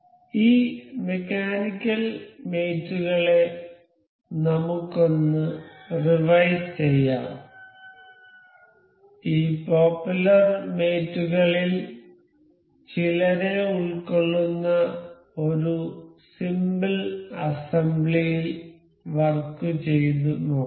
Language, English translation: Malayalam, So, let us just revise this mechanical mates, we will work around a simple assembly that will feature some of these popular mates